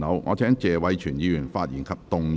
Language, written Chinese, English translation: Cantonese, 我請謝偉銓議員發言及動議議案。, I call upon Mr Tony TSE to speak and move the motion